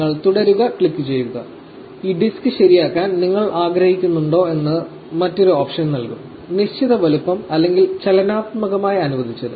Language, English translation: Malayalam, You click continue and it will give another option whether you want this disk to be fixed; fixed size or dynamically allocated